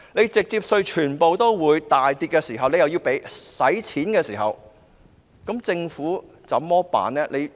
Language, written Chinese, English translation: Cantonese, 當直接稅收入全部大跌的時候，但又要用錢，政府該怎麼辦呢？, When the amount of direct taxes plunges and money needs to be spent what should the Government do?